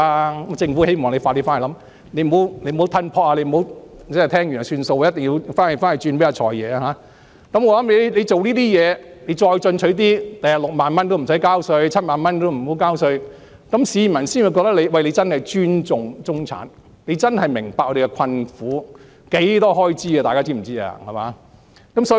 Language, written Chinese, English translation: Cantonese, 如果政府願意這樣做，日後再進取一點，月薪6萬元也無需交稅，然後再調高至月薪7萬元，這樣市民便會覺得你真的尊重中產，真的明白我們的困苦，大家知道中產的開支有多大嗎？, If the Government is willing to adopt this initiative it can be more aggressive in future by waiving tax for people making 60,000 a month and further increase the threshold to 70,000 a month . This way the public will think that the Government truly respects the middle - class people and that it truly appreciates their plights . Do Members know how hefty the expenses are for the middle class?